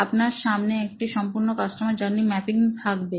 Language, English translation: Bengali, You will have a complete customer journey map